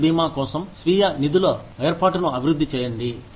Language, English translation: Telugu, Develop a self funding arrangement, for health insurance